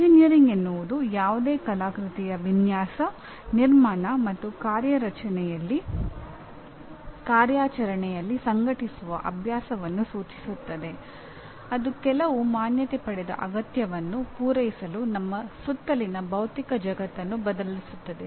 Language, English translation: Kannada, Engineering refers to the practice of organizing the design, construction, and operation of any artifice which transforms the physical world around us to meet some recognized need, okay